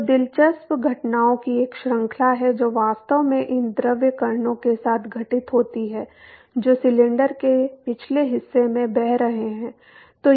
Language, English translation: Hindi, So, there is a series of interesting events that actually occur to these fluid particles which is flowing past the cylinder